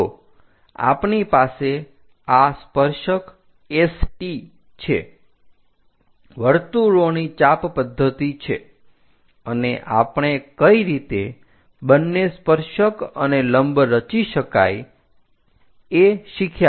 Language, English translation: Gujarati, So, we have this tangent S T, arc of circle method, and we have learnt how to construct both tangent and normal